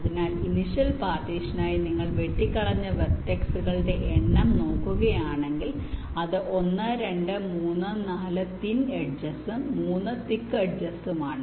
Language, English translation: Malayalam, so for initial partition, if you just count the number of vertices which are cut, it is one, two, three, four thin edges and three thick edges